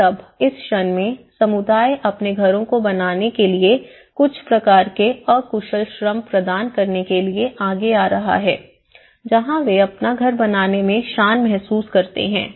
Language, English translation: Hindi, And now, in this the moment, the community is coming forward to provide some kind of unskilled labour to make their own houses, where they feel dignity about making their own house